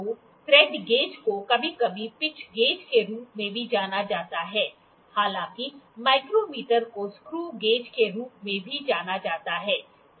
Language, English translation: Hindi, So, thread gauge is also sometime known as screw gauge however the micro meter is also known as screw gauge, it is also known as pitch gauge